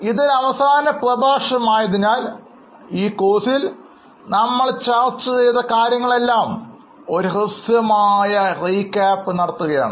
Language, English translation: Malayalam, Now this being a last lecture, we will take a brief recap of whatever we have discussed, whatever you have learned in the course